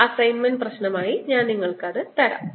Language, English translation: Malayalam, i'll give that as an assignment problem